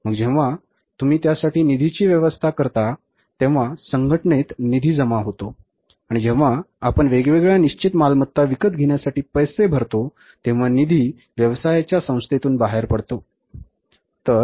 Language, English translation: Marathi, So, when you arrange the funds for that, funds flow in the organization and when we make the payment for acquiring the different fixed assets, funds flow out of the organization, out of the business organization, right